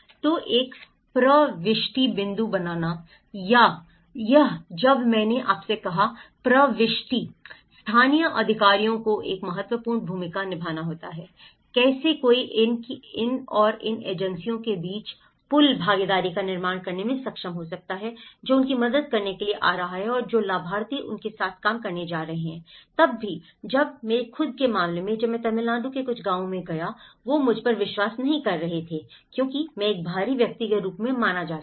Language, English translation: Hindi, So, creating an entry point, this is whereas I said to you, the entry; the local authorities have to play an important role, how one can able to build bridge partnerships between these and the agencies which are coming to help them and which the beneficiaries who are going to work with them, even when in my own case, when I went to some villages in Tamil Nadu, they were not trusting me because I was consider as an outsider